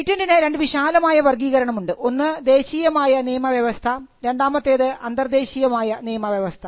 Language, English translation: Malayalam, So, the patent regime can comprise of two broad classification; one you have the national regime and then you have the international regime